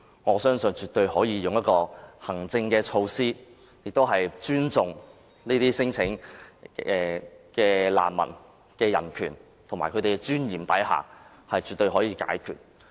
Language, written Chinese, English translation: Cantonese, 我相信透過行政措施，絕對可以在尊重提出難民聲請者的人權及尊嚴之下解決這問題。, I firmly believe that the problem can definitely be resolved through administrative measures without compromising our respect for the human rights and dignity of refugee claimants